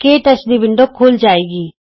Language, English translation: Punjabi, The KTouch window appears